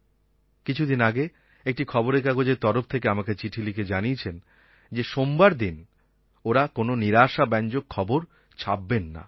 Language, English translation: Bengali, Some days back a newspaper had written a letter to me saying that they had decided that on Mondays they would not give any negative news but only positive news